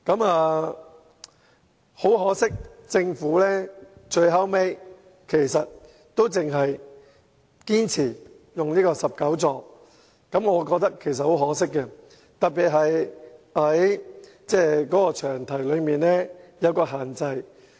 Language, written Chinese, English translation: Cantonese, 不過，政府最後依然堅持只增加至19個座位，我覺得很可惜，特別是受到詳題的限制。, Nevertheless the Government has eventually insisted on increasing the seating capacity to 19 . I find this regrettable particularly the restrictions imposed by the long title of the Bill